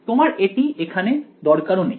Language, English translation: Bengali, You do not even need this over here